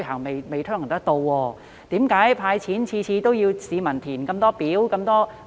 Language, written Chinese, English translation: Cantonese, 為何政府每次"派錢"皆規定市民填寫眾多表格呢？, Why does the Government require people to fill in so many forms whenever it intends to hand out money?